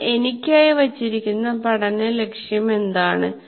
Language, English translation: Malayalam, So now what is the learning goal I have put for myself